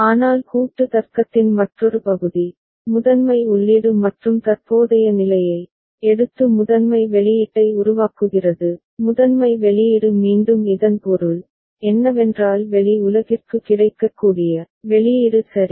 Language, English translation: Tamil, But another part of the combinatorial logic is also taking primary input and the current state and generating the primary output; the primary output again what I mean by this is the output that is made available to the external world ok